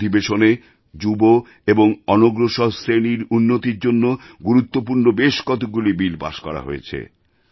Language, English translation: Bengali, A number of importantbills beneficial to the youth and the backward classes were passed during this session